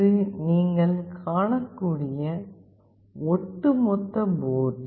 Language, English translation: Tamil, This is the overall board you can see